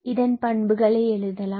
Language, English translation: Tamil, So, let me write it as properties